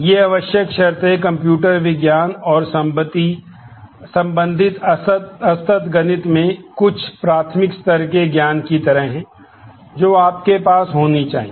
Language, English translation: Hindi, These prerequisites are kind of certain elementary level knowledge in computer science and related discrete mathematics that you should have